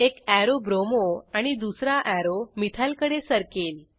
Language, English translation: Marathi, One arrow moves to bromo and other arrow moves towards methyl